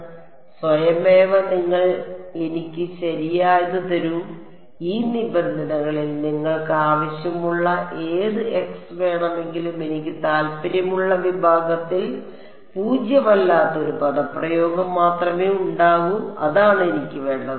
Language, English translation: Malayalam, So, it automatically you give me the correct give me any x you want of these N e terms only one expression will be non zero in the segment of interest and that is the term that I want